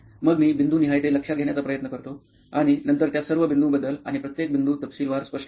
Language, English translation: Marathi, Then I try to note it down point wise and then explain all those points, each and every point in detail